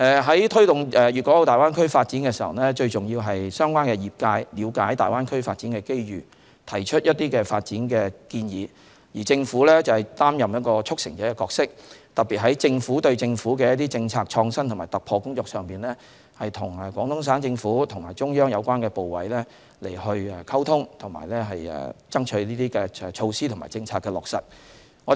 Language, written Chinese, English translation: Cantonese, 在推動粵港澳大灣區發展時，最重要是相關業界了解大灣區發展的機遇，提出發展建議，而政府則擔任一個"促成者"的角色，特別在政府對政府的政策創新和突破工作上，與廣東省政府和中央有關部委溝通，爭取措施和政策的落實。, In promoting the development of the Greater Bay Area it is of utmost importance that the industries concerned understand the development opportunities of the Greater Bay Area and put forward their development proposals while the Government plays the role of facilitator which especially in seeking Government - to - Government policy innovation and breakthrough will maintain communication with the Government of Guangdong Province and the related ministries and committees of the Central Authorities so as to strive for implementation of the measures and policies